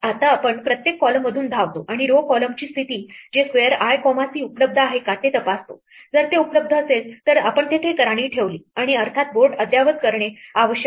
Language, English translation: Marathi, Now we run through each column and check whether the row column position that is the square i comma c is available, if it is available we then put a queen there and we of course, have to update the board